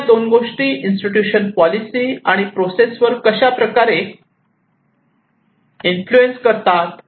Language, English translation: Marathi, But these two also is influencing the policy institution and process